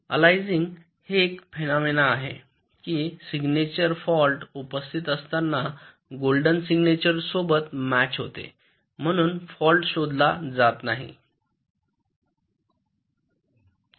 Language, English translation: Marathi, this aliasing is the phenomena that the signature, in the presence of a fault, matches with the golden signature and therefore the fault goes undetected